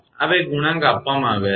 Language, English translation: Gujarati, These two coefficients are given